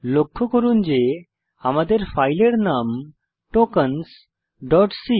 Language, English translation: Bengali, Note that our file name is Tokens .c